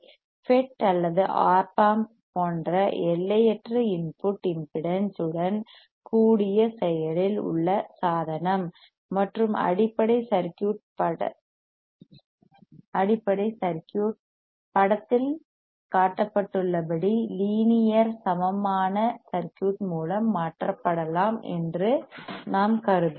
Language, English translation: Tamil, We will assume that the active device with infinite input impedance such as FET or Op amp, and the basic circuit can be replaced by linear equivalent circuit as shown in the figure